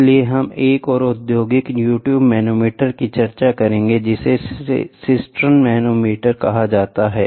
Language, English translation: Hindi, So, we will look for another industrial U tube manometer, which is called as Cistern manometer